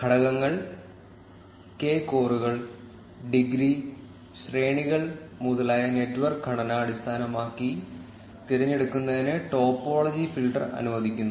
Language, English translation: Malayalam, The topology filter allows for selection based on the network structure like components, k cores, degree, ranges etcetera